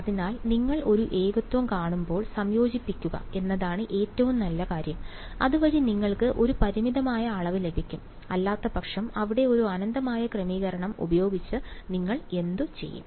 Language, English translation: Malayalam, So, when you see a singularity, the best thing is to integrate, so that you get a finite quantity otherwise what do you do with a infinity setting there right